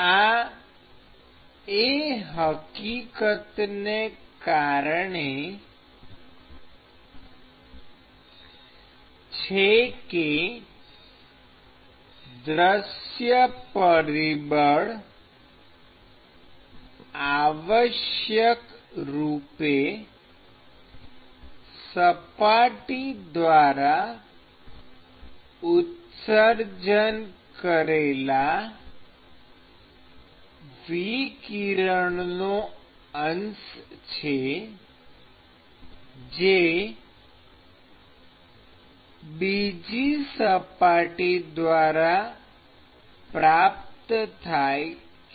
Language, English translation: Gujarati, Because by definition, view factor is the fraction of radiation that is emitted by that surface, by a surface and as received by another surface